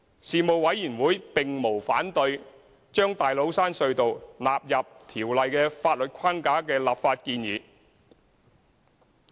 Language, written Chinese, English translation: Cantonese, 事務委員會並無反對把大老山隧道納入《條例》的法律框架的立法建議。, The Panel did not raise any objection to the legislative proposals on subsuming TCT under the legal framework of the Ordinance